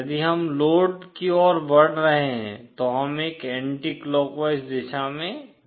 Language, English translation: Hindi, If we are moving towards the load, we are going in an anticlockwise direction